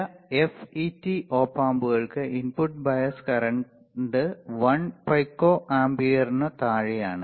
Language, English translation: Malayalam, Now, some FET op amps have input bias current well below 1 pico ampere ok